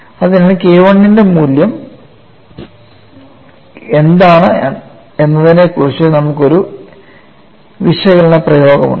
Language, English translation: Malayalam, So, we have an analytical expression on what is the value of K 1